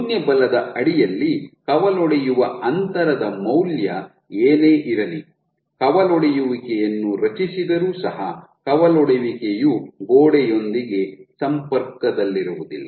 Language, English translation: Kannada, So, even if you whatever your value of branching distance under 0 force even if you have a branch getting created, the branch will never get in touch with the wall ok